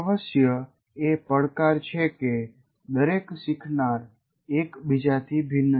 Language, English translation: Gujarati, Of course the challenge is each learner is different from the other